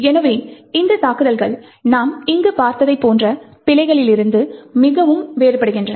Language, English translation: Tamil, So, these attacks differ quite considerably from the bugs like what we have seen over here